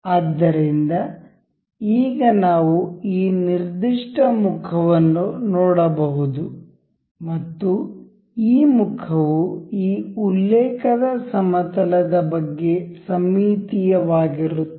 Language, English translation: Kannada, So, now, we can see this particular face and this face is symmetric about this plane of reference